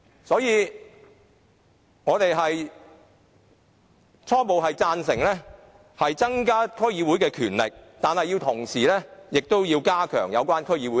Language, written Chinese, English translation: Cantonese, 所以，我們初步贊成增加區議會的權力，但同時要加強對其監察。, Hence we initially support increasing the powers of DCs but at the same time we need to step up the monitoring efforts